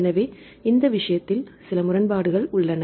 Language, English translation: Tamil, So, in this case there is some discrepancies